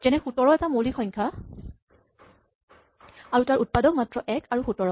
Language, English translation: Assamese, So, 17 for example, which is a prime number has only two factors 1 and 17